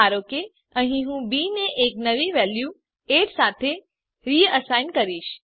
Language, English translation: Gujarati, Suppose here I will reassign a new value to b as 8